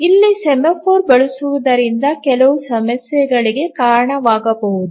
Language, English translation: Kannada, Here using a semaphore will lead to some problems